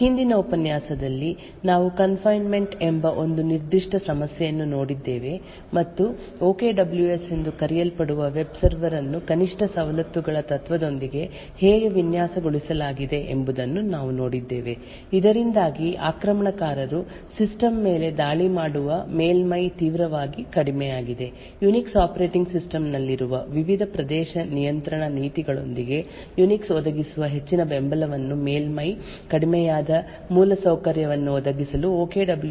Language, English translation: Kannada, In the previous lecture we had looked at one particular problem called confinement and we had seen how a web server which we will which was called OKWS was designed with the principle of least privileges so that the surface with which an attacker in attack the system is drastically reduced, we seen how OKWS used a lot of support that Unix provides with the various access control policies that are present in the Unix operating system to provide an infrastructure where the surface is reduced